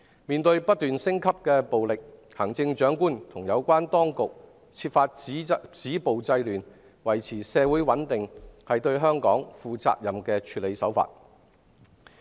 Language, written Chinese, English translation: Cantonese, 面對不斷升級的暴力，行政長官和有關當局設法止暴制亂，維持社會穩定，這是對香港負責任的處理手法。, In the face of escalating violence the Chief Executive and relevant authorities have tried to stop violence curb disorder and maintain social stability which is a responsible approach for Hong Kong